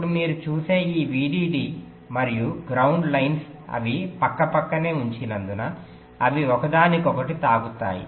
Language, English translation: Telugu, now this vdd and ground lines, you see, since the placed side by side they will be touching one another